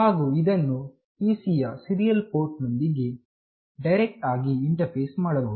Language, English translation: Kannada, And it can be directly interfaced to the serial port of the PC